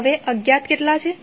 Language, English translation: Gujarati, Now, unknowns are how many